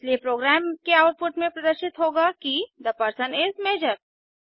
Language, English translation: Hindi, Therefore the program display the output as The person is Major